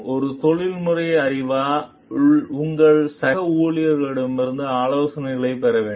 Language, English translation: Tamil, As a professional knowledge, you need to get advice of your colleagues